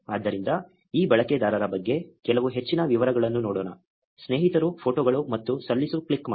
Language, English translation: Kannada, So, let us look for some more details about this user say friends, photos and click submit